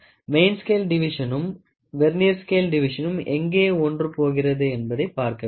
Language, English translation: Tamil, So, this is the main scale reading and this is the Vernier scale division, ok